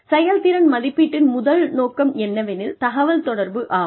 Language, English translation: Tamil, Performance appraisal are the first, aim is communication